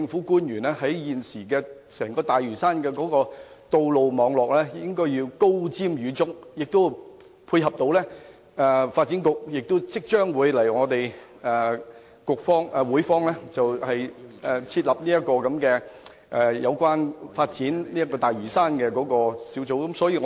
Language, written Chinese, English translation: Cantonese, 對於現時整個大嶼山的道路網絡發展，政府官員應該高瞻遠矚，並且配合發展局即將在立法會設立有關發展大嶼山的小組的工作。, Regarding the road network development of the entire Lantau government officials should be forward - looking and tie in with the efforts of a taskforce to be set up shortly in the Legislative Council by the Development Bureau in relation to the development of Lantau